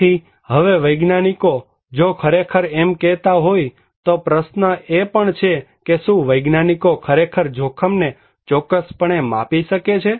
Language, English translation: Gujarati, So, now if the scientists are really saying that, the question is even the scientist can they really measure the risk accurately